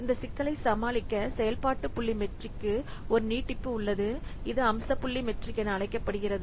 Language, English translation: Tamil, In order to overcome this problem, an extension to the function point metric is there, which is known as feature point metric